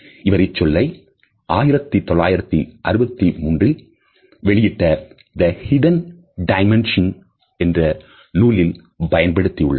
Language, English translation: Tamil, He had used this word in 1963 publication of his book with a title, The Hidden Dimension